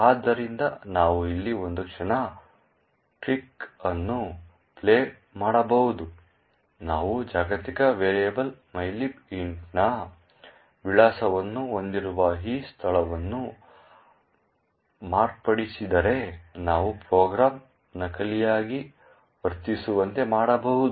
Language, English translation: Kannada, So, we can actually play a small trick over here, if we modify this particular location which contains the address of the global variable mylib int, we can actually cost the program to behave spuriously